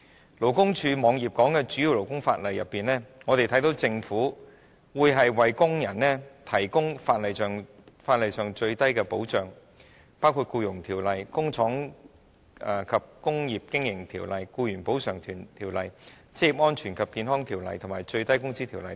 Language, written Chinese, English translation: Cantonese, 在勞工處網頁內提及的主要勞工法例當中，我們看到政府會為工人提供法例上最低的保障，包括《僱傭條例》、《工廠及工業經營條例》、《僱員補償條例》、《職業安全及健康條例》、《最低工資條例》等。, From the major labour laws set out on the website of the Labour Department we can see that the Government has provided the minimum level of protection prescribed by law and they include the Employment Ordinance the Factories and Industrial Undertakings Ordinance the Employees Compensation Ordinance the Occupational Safety and Health Ordinance the Minimum Wage Ordinance and so on